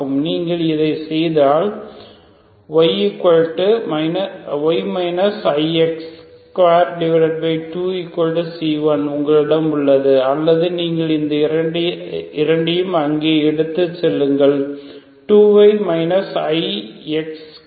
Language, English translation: Tamil, So if you do this you have Y minus I X square by 2 equal to C1 ok or you just take this two there so you have 2 Y minus I X square equal to C1